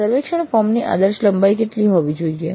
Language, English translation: Gujarati, What should be the ideal length of a survey form